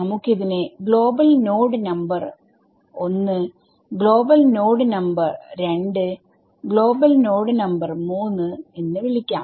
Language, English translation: Malayalam, So, let us call this guy global node number 1, global node 2 global node 3 and global node 4